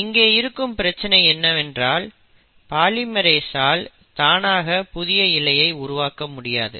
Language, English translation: Tamil, The problem is, polymerase on its own cannot start making a new strand